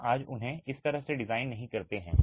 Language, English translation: Hindi, We don't design them like this today